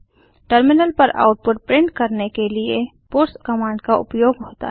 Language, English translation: Hindi, puts command is used to print the output on the terminal